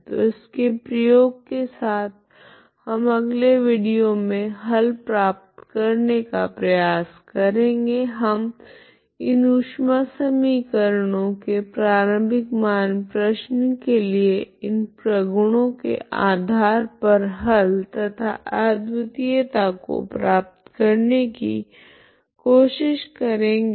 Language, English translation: Hindi, So with using this we try to get the solution in the next video we try to get you the solution based on this properties of the solutions of the heat equation and the uniqueness of solution of the initial value problem for the heat equation